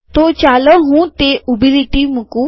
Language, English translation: Gujarati, So let me put that vertical line